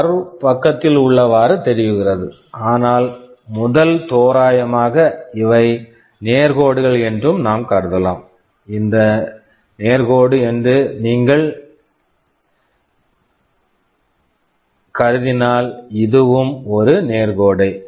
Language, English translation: Tamil, Well the curve looks like this, but to a first approximation we can assume that these are straight lines, you can assume that this is straight line, this is also a straight line